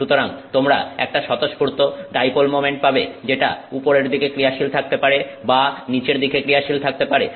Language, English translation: Bengali, So, you have a spontaneous dipole moment that can point upwards or it can point downwards